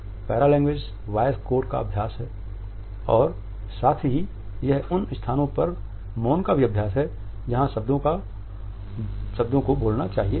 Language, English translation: Hindi, Paralanguage is studies the voice codes and at the same time it also studies the silences in those places, where the words should have been spoken